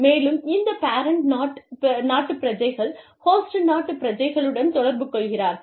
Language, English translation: Tamil, And, these parent country nationals, interact with the host country nationals